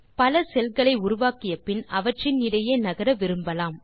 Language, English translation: Tamil, After we create many cells, we may want to move between the cells